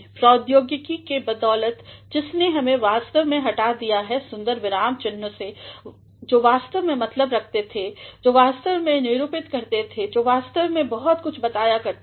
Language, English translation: Hindi, Thanks to technology that has actually disrobed off the beautiful punctuation which actually used to mean, which actually used to denote, which actually use to tell a lot